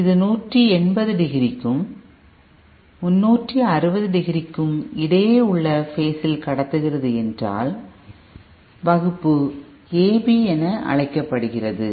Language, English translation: Tamil, If it is conducting for phase between 180 degree and 360 degree, then it is called Class AB